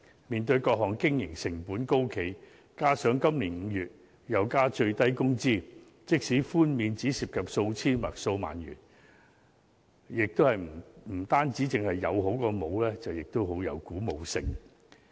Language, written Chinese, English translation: Cantonese, 面對各項經營成本高企，加上今年5月又增加最低工資，即使寬免只涉及數千元或數萬元，也是有好過沒有，而且亦很具鼓舞性。, As operating costs are high and the minimum wage will go up in May this year the waivers though involving merely several thousand dollars or several dozen thousand dollars are still better than nothing and really encouraging